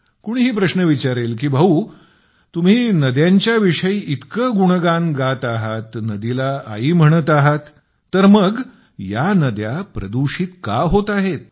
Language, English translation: Marathi, Anyone can question "you are singing so many songs dedicated to rivers, referring to a river as a Mother…then why is it that the river gets polluted